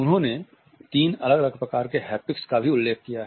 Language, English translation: Hindi, He has also referred to three different types of haptics